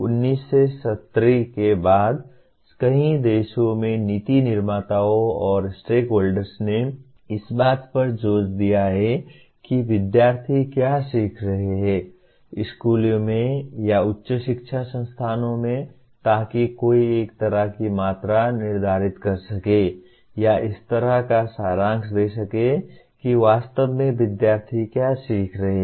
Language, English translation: Hindi, Policy makers and stakeholders in several countries since 1970s have been emphasizing to have a kind of a grip on what exactly are the students learning in schools or in higher education institutions so that one can kind of quantify or kind of summarize what exactly the students are learning